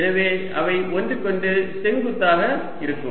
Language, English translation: Tamil, so they are orthogonal to each other